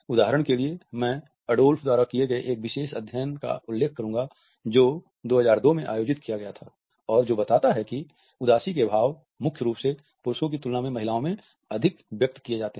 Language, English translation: Hindi, For example, I would refer to a particular study by Adolphs, which was conducted in 2002 and which suggest that the expressions of sadness are mainly expressed more in women than men